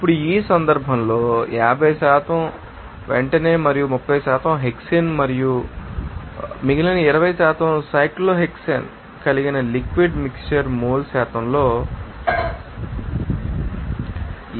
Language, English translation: Telugu, Now, in this case, you will see that a liquid mixture that contains 50% pentane and 30% hexane and remaining that is 20% you know cyclohexane all in mole percent that is x1 = 0